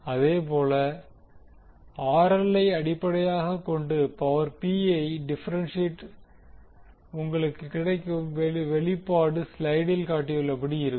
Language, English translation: Tamil, Similarly, when you differentiate power P with respect to RL you get the expression as shown in the slide